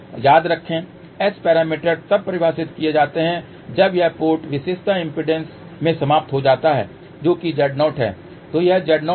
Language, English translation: Hindi, And remember S parameters are defined when this port is terminated into the characteristic impedance which is Z 0